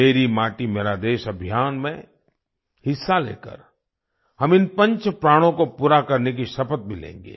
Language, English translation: Hindi, By participating in the 'Meri Mati Mera Desh' campaign, we will also take an oath to fulfil these 'five resolves'